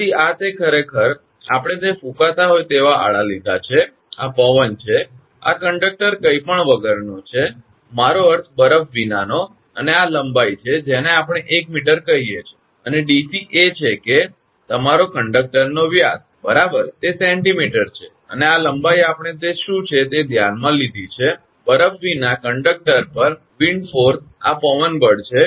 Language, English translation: Gujarati, So, this is actually we have taken this horizontal it is blowing, this is the wind, this is the conductor without anything, I mean without ice and this is the length we have consider say 1 meter, and dc is that your diameter of the conductor right, its centimeter and this length we have considered what this is, wind force on conductor without ice, this is the wind force